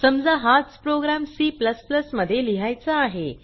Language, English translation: Marathi, Now suppose, I want to write the same program in C++